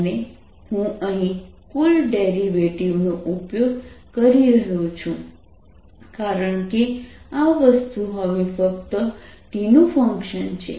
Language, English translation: Gujarati, and i am using a total derivative here because this thing is not the function of t only now we have to calculate